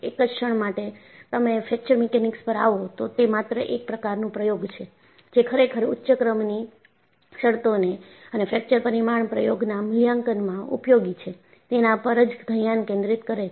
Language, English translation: Gujarati, The moment, you come to Fracture Mechanics, it is only experimentalist, who really focus on higher order terms and that, utility in experimental evaluation of fracture parameters